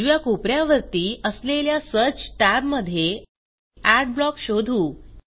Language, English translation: Marathi, In the search tab, at the top right corner, search for Adblock